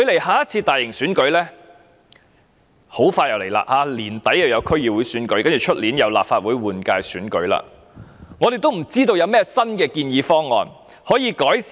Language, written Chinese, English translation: Cantonese, 下次大型選舉將至，今年年底將有區議會選舉，明年則有立法會換屆選舉，我們仍不知道有何新建議方案可作改善。, As the next round of major elections is drawing near namely the District Council elections by the end of this year and the Legislative Council General Election next year we are still in the dark about any new proposals for improvement